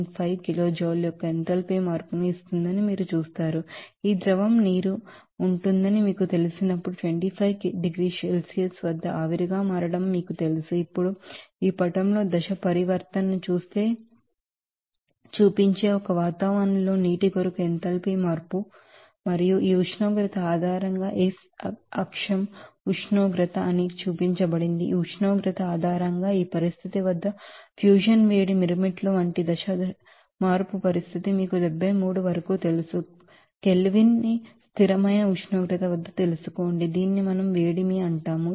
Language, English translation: Telugu, When this liquid you know water will be, you know changing it is state to vapor at 25 degree Celsius now enthalpy change for water at one atmosphere showing the phase transition in this figure it is shown that the x axis is temperature, based on this temperature, you will see that how enthalpy will be changing at a different you know phase change condition like for heat of fusion at this condition at a temperature up to 73 you know Kelvin at constant temperature we change our heat that is called heat of fusion